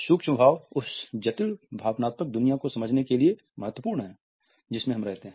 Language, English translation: Hindi, Micro expressions are key to understanding the complex emotional world we live in